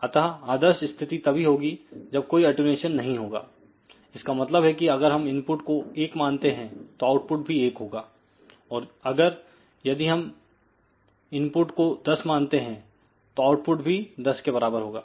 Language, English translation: Hindi, So, ideal situation would be that there is absolutely no attenuation; that means, if input is let us say one output will be equal to 1, ok or if input is 10 output will be equal to 10